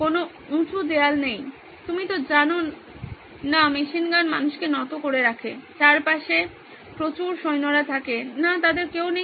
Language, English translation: Bengali, No high walls, no you know machine gun bearing down people, soldiers around, nope, none of them